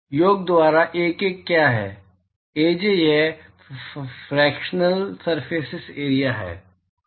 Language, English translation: Hindi, What is Ak by sum Aj it is the fractional surface area